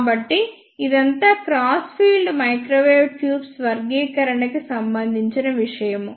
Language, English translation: Telugu, So, this is all about the classification of ah crossed field microwave tubes